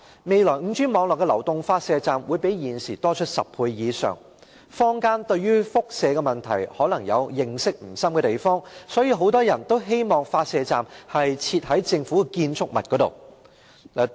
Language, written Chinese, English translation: Cantonese, 未來 5G 網絡的流動發射站會比現時多出10倍以上，坊間對於輻射問題可能認識不深，故此很多人都希望發射站會設置於政府建築物內。, The number of mobile transmitting stations for the future 5G network will be 10 times more than the present number . As the community may not have any deep knowledge of the radiation issue many people hope that such stations will be installed in government buildings